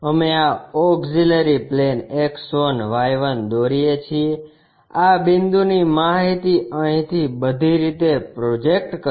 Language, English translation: Gujarati, We draw this auxiliary plane X1Y1; project these point's information's from here all the way